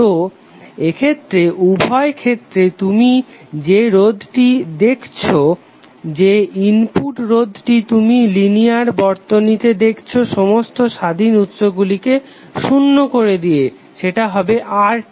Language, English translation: Bengali, So in that case whatever the resistance you will see in both of the cases the input resistance which you will see across the linear circuit with all independent sources are equal to zero would be equal to RTh